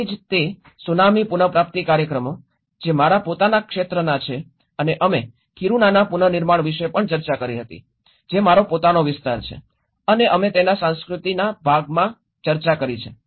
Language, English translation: Gujarati, So that is where the tsunami recovery programs, which is my own areas and also we did discussed about the rebuilding of Kiruna which is also my own area and that we discussed in the culture part of it